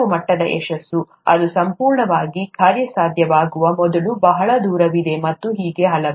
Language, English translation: Kannada, Some level of success, it's a long way before it becomes completely viable and so on